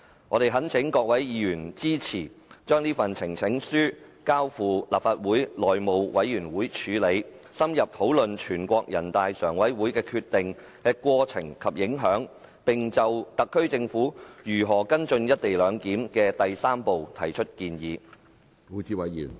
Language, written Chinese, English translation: Cantonese, 我們懇請各位議員支持，將這份呈情書交付立法會內務委員會處理，深入討論人大常委會的決定的過程及影響，並就特區政府如何跟進"一地兩檢"的第三步提出建議。, I implore Honourable Members to support referring this petition to the House Committee so that we can have in - depth discussions on the procedures and impact of the NPCSC Decision and put forth proposals on the follow - up on the third step of the co - location arrangement by the SAR Government